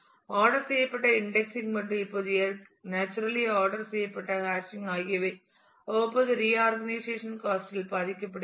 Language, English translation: Tamil, The ordered indexing and the hashing now naturally ordered indexing has suffers from the cost of periodic reorganization